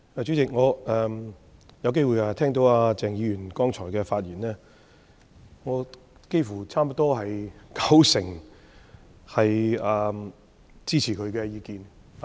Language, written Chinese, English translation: Cantonese, 主席，我剛才有機會聽到鄭松泰議員的發言，我差不多支持他九成的意見。, President I have the opportunity to listen to the speech of Dr CHENG Chung - tai just now . I endorse almost 90 % of his views